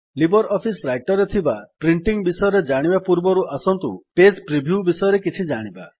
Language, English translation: Odia, Before learning about printing in LibreOffice Writer, let us learn something about Page preview